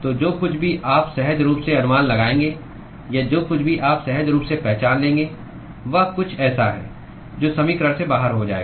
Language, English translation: Hindi, So, whatever you would intuitively guess or whatever you would intuitively identify is something that will fall out from the equation